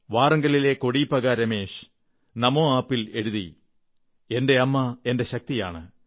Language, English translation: Malayalam, Kodipaka Ramesh from Warangal has written on Namo App"My mother is my strength